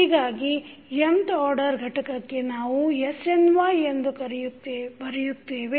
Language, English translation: Kannada, So, for nth order component we written snY